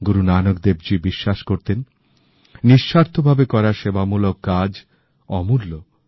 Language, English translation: Bengali, Guru Nank Dev ji firmly believed that any service done selflessly was beyond evaluation